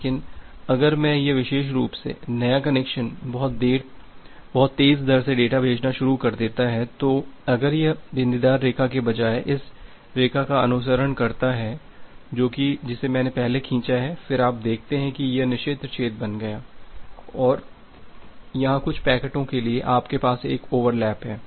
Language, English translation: Hindi, But if this particular new connection starts sending data at a very fast rate, so if it follows this line rather than the dotted line that I have drawn earlier, then you see that these becomes the forbidden region and here for some packets you have a overlap